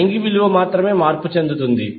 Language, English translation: Telugu, The only change will be the angle value